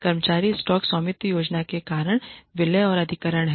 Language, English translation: Hindi, The reasons for employee stock ownership plans are mergers and acquisitions